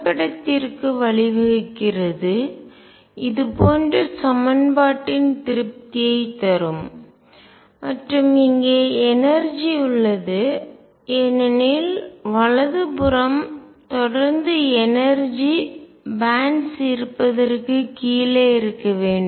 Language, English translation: Tamil, And this leads to a picture for the satisfaction of the equation like this and energy is exist because, right hand side should remain below energy bands exist